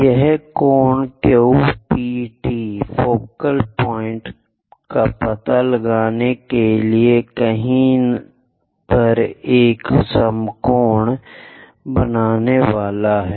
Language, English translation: Hindi, This Q P T supposed to make an equal angle at somewhere here to locate focal point